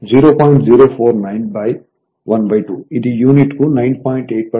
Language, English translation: Telugu, 049 by half so, it is 9